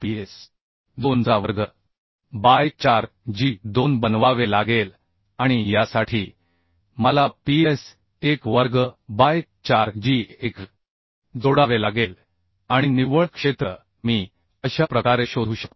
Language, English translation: Marathi, for this I have to make this ps2 square by 4g2 and for this I have to add ps1 square by 4g1 and net area